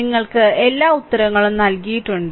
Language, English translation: Malayalam, So, just you all answers are given right